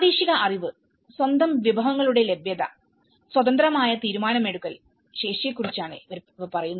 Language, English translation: Malayalam, And the local know how, availability of own resources, independent decision making this is talking about the capacity